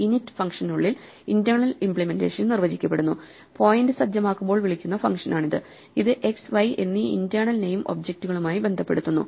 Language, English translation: Malayalam, The internal implementation is defined inside the init function; this is the function that is called when the point is set up and this associates these internal names x and y with the objects